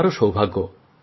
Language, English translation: Bengali, Am fortunate too